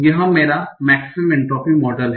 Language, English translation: Hindi, So what is a maximum entropy model